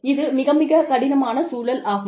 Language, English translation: Tamil, Very, very, difficult situation